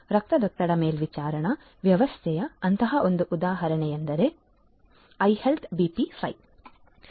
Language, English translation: Kannada, One such example of blood pressure monitoring system is iHealth BP5